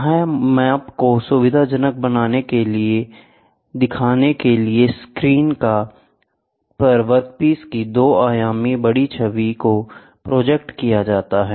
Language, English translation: Hindi, It projects a 2 dimensional magnified image of the workpiece onto a viewing screen to facilitate measurement